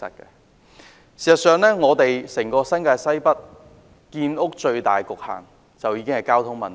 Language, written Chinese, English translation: Cantonese, 事實上，整個新界西北建屋的最大局限在於交通問題。, In fact the greatest constraint on housing construction in the whole NWNT is transport